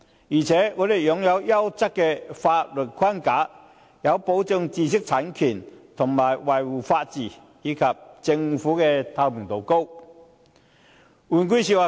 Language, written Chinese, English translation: Cantonese, 此外，香港擁有優質的法律框架，有效保障知識產權和維護法治，而且政府能夠維持高透明度。, Furthermore Hong Kong possesses a sound legal framework that can effectively protect intellectual property rights and uphold the rule of law and its Government is capable of maintaining high transparency